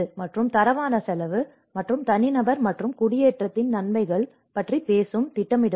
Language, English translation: Tamil, And planners which talk about the qualitative cost and the benefits of individual versus settlement